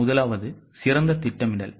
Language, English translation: Tamil, The first one is better planning